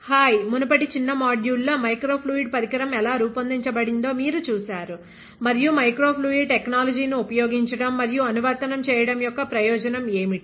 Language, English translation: Telugu, Hi, in the previous short module, you saw how a microfluidic device is designed and what is the application and the, what is utility of using microfluidic technology